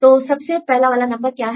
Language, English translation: Hindi, So, which one is the first number